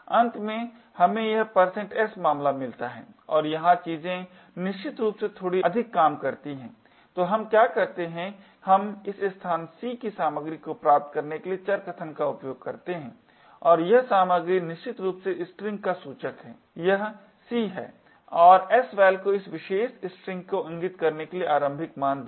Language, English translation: Hindi, Finally we get this case % s and here things work a bit more definitely, so what we do is we use variable argument to get this contents of this location c and this content is essentially the pointer to the string this is c and sval is initialised to point to this particular string